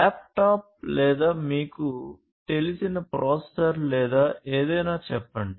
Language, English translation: Telugu, So, let us say a laptop or something you know a processor or whatever